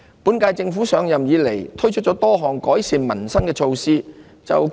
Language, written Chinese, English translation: Cantonese, 本屆政府上任以來，推出多項改善民生的措施。, Since taking office the current - term Government has launched a series of measures to improve peoples livelihood